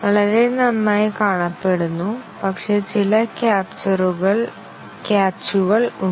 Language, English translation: Malayalam, Appears very good, but then, there are some catches